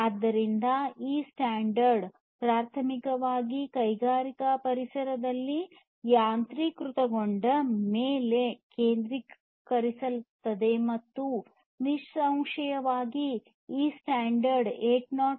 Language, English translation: Kannada, So, this standard primarily focuses on automation in industrial environments and obviously, this standard, it is based on 802